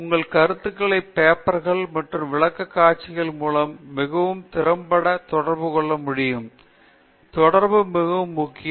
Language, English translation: Tamil, You should be able to communicate your ideas through papers and presentations very effectively; communication is very, very important